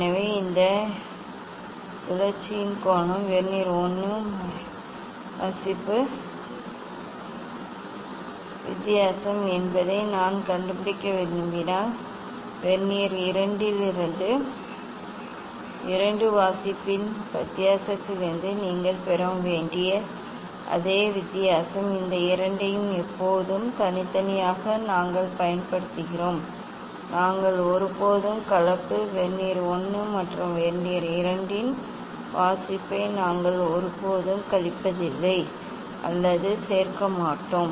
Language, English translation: Tamil, So now, this angle of rotation if I want to find out that is difference of two reading of Vernier 1 ok, also the same difference you should get from the difference of two reading from Vernier 2 these two always separately we use ok, we never mixed, we never subtract or add reading of Vernier 1 and Vernier 2